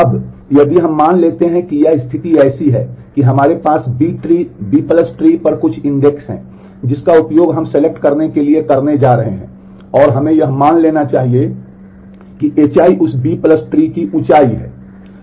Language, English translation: Hindi, Now, if now let us assume that it is the situation is such that we have some index on the b tree B + tree that we are using to going to do the selection on and let us assume that h i is the height of that B+ tree